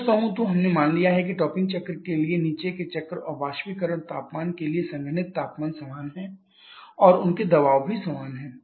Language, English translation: Hindi, Truly speaking the here we have assumed that the condenser temperature for the bottoming cycle and evaporator temperature for the talking cycles are same and their pressures are so same